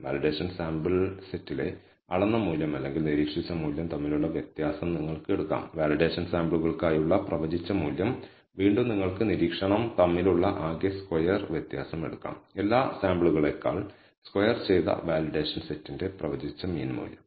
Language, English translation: Malayalam, You can take the difference between the measured value or observed value in the validation sample set minus the predicted value for the validation samples and again you can take the sum square difference between the observation minus the predicted value for the validation set squared over all samples on the averaged average value